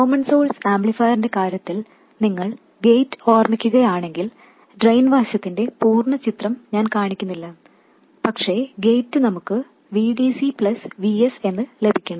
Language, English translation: Malayalam, In case of the common source amplifier if you recall, the gate, I won't show the complete picture on the drain side, but the gate we had to get VDC plus VS